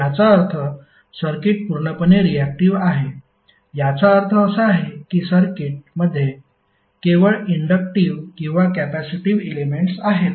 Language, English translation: Marathi, It means that the circuit is purely reactive that means that the circuit is having only inductive or capacitive elements